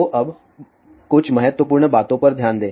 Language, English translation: Hindi, So, now, let just look at some of the important thing